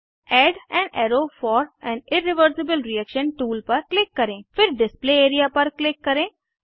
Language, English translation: Hindi, Click on Add an arrow for an irreversible reaction tool, Then click on Display area